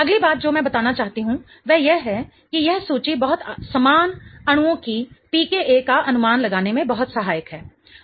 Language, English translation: Hindi, The next thing I want to point out is this particular table is very helpful in predicting the pk of very similar molecules